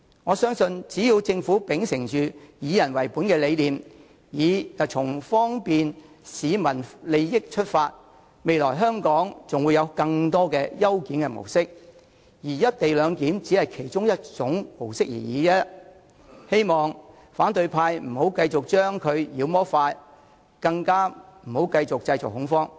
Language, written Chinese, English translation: Cantonese, 我相信只要政府秉承"以人為本"的理念，以方便市民利益為出發點，則未來香港還會有更多的優檢模式，而"一地兩檢"只是其中一種而已，希望反對派議員不要再將其妖魔化，更不要繼續製造恐慌了。, I am sure if the Government can uphold the people - oriented principle and take forward proposals in this respect with the ultimate aim of bringing convenience to the people more efficient modes of clearance will be adopted in Hong Kong in the future while the co - location arrangement will only be one of them . I hope opposition Members will no longer demonize the arrangement and neither should they continue to create panic